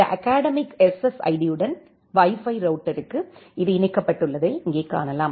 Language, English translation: Tamil, Here you can see it is connected to this academic SSID to the Wi Fi router